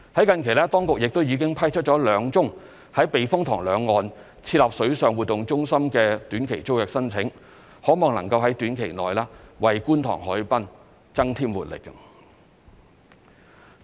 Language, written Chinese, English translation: Cantonese, 近期，當局亦已批出兩宗於避風塘兩岸設立水上活動中心的短期租約申請，可望能夠於短期內為觀塘海濱增添活力。, Recently the authorities have approved two short - term tenancy applications for establishing water activities centres along the banks of the typhoon shelter . This will hopefully bring vibrancy to the Kwun Tong harbourfront in the short term